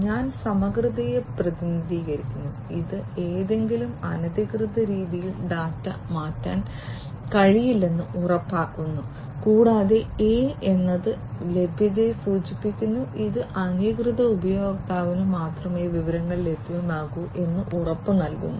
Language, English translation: Malayalam, I stands for integrity which ensures that the data cannot be changed in any unauthorized manner and A stands for availability which guarantees that the information must be available only to the authorized user